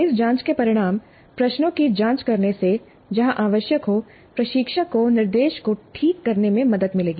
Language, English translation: Hindi, The results of these probing questions would help the instructor to fine tune the instruction where necessary